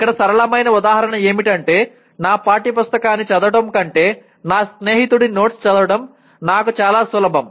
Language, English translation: Telugu, Here simple example is I know that reading the notes of my friend will be easier for me than reading my textbook